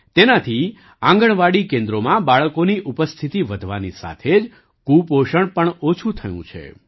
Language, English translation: Gujarati, Besides this increase in the attendance of children in Anganwadi centers, malnutrition has also shown a dip